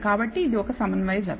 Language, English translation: Telugu, So, it is a concordant pair